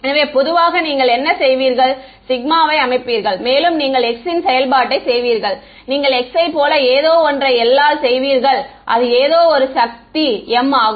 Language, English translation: Tamil, So, typically what you would do is that sigma you would make a function of x and you would do something like x by L to some power m ok